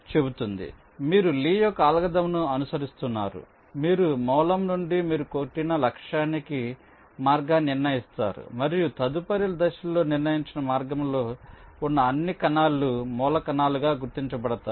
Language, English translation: Telugu, so you follow lees algorithm: you determine the path from the source to the target you have hit and in the next step, all the cells in the determined path are identified as source